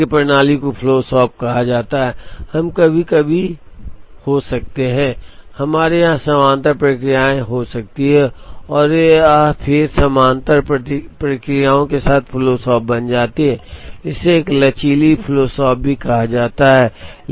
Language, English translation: Hindi, Now such a system is called a flow shop, we could have sometimes, we could have parallel processes here and so on, then it becomes flow shop with parallel processes, it is also a called a flexible flow shop and so on